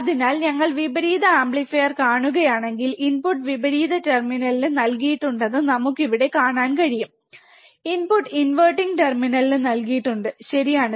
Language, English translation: Malayalam, So, if you see the inverting amplifier, we can see here, that the input is given to the inverting terminal the input is given to the inverting terminal, right